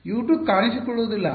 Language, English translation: Kannada, U 2 is not going to appear